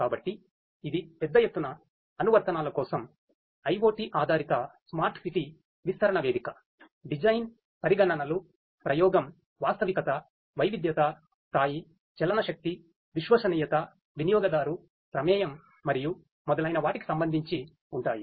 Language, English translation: Telugu, So, this is an IoT based smart city development sorry deployment platform for large scale applications where; the design considerations are with respect to the experimentation, realism, heterogeneity, scale, mobility, reliability user involvement and so on